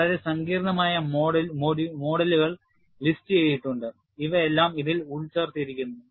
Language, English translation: Malayalam, And very complex models are listed and these are all embedded in this